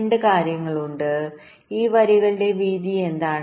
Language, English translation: Malayalam, there are two things: what is the width of this lines